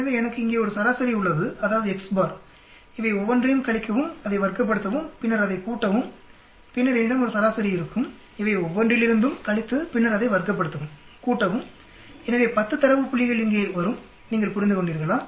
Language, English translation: Tamil, So I have a mean here, that is X s bar, subtract each one of these, square it up, then add it up, then I then I will have an average here mean, subtract from each one of these then square it up, add it up, so there will be 10 data points coming here right, you understood